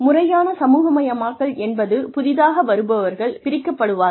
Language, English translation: Tamil, Formal socialization is, when new newcomers are segregated